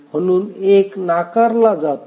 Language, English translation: Marathi, So 1 is ruled out